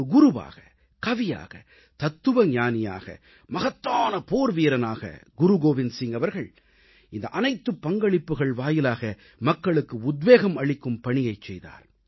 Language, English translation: Tamil, A guru, a poet, a philosopher, a great warrior, Guru Gobind Singh ji, in all these roles, performed the great task of inspiring people